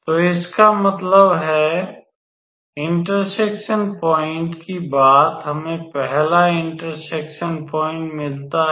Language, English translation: Hindi, So that means, the point of intersection, we get first point of intersection